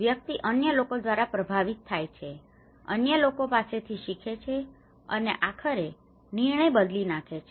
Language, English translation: Gujarati, Individuals are influenced by others, learn from others and eventually, change the decision